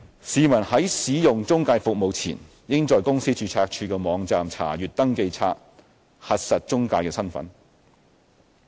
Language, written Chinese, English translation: Cantonese, 市民在使用中介服務前，應在公司註冊處的網站查閱登記冊，核實中介的身份。, Borrowers should check the Register by visiting the website of the Companies Registry to verify the identity of the intermediary before engaging the latters service